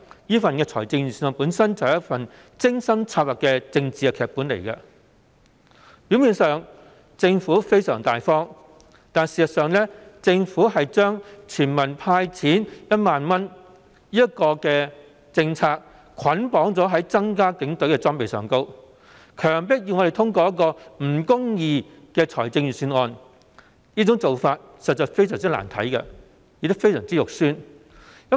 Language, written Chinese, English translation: Cantonese, 這份預算案本身便是一份精心策劃的政治劇本，政府在表面上相當大方，事實上卻把全民"派錢 "1 萬元的政策捆綁在增加警隊裝備的開支上，以強迫我們通過這份不公義的預算案，做法實在相當難看，亦相當醜陋。, The Budget per se is a well - planned political script . On the face of it the Government is rather generous; yet it has bundled the policy of cash handout of 10,000 for all citizens with the increase in expenditure for police equipment so as to force us into passing this unjust Budget